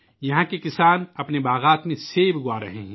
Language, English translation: Urdu, Farmers here are growing apples in their orchards